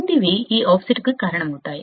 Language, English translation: Telugu, The following can cause this offset